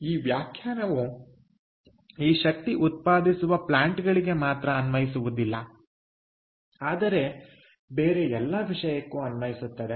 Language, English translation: Kannada, this definition is applicable not for this energy generating plants, but for any other thing